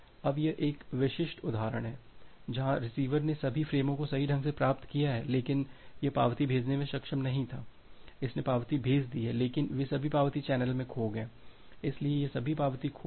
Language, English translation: Hindi, Now, here is a typical example, where the receiver has correctly received all the frames, but it was not able to send the acknowledgement, it has sent the acknowledgement, but all those acknowledgement got lost in the channel so, all this acknowledgement got lost